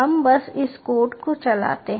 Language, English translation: Hindi, we simply run this code ah